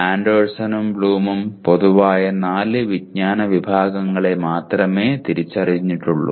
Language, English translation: Malayalam, Anderson and Bloom will only identify four general categories of knowledge